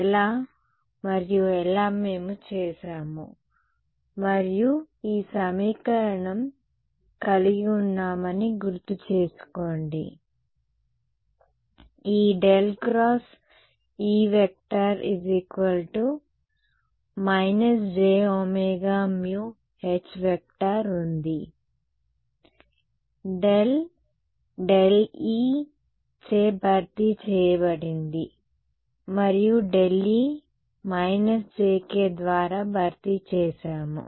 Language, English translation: Telugu, How did and how would did we do that, remember we had this equation, this was del cross E is equal to minus j omega mu H, that del became replaced by del e and that del e got replaced by minus jk right so